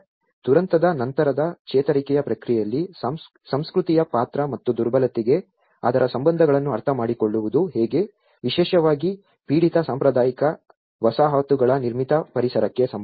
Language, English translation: Kannada, How to understand the role of culture in the post disaster recovery process and its relation to the vulnerability, especially, in particular to the built environment of affected traditional settlements